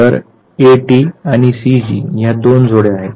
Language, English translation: Marathi, So, A T and C G these are the two pairs